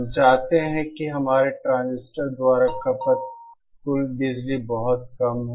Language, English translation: Hindi, We want that the total power consumed by our transistor is very less